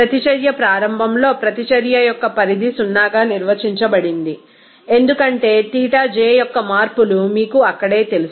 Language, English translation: Telugu, The extent of reaction is defined as 0 at the beginning of the reaction because that is the changes of Xij is you know extent itself there